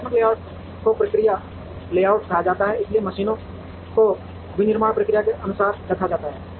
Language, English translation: Hindi, Functional layout is called the process layout, so the machines are laid out according to the manufacturing process